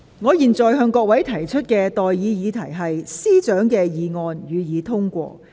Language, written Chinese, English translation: Cantonese, 我現在向各位提出的待議議題是：律政司司長動議的議案，予以通過。, I now propose the question to you and that is That the motion moved by the Secretary for Justice be passed